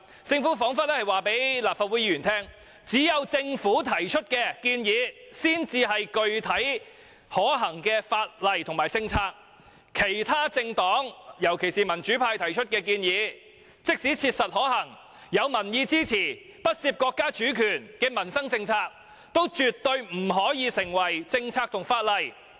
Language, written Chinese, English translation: Cantonese, 政府彷彿是要告訴立法會議員，只有政府提出的建議才是具體可行的法例和政策，其他政黨提出的建議，即使切實可行且有民意支持，亦不涉及國家主權的民生政策，但也絕對不能夠成為政策和法例。, The Government seems to be telling Members that only legislative and policy proposals put forward by the Government are specific and feasible whereas proposals put forward by political parties and groupings despite being practical and feasible and supported by the public can never become policies and legislation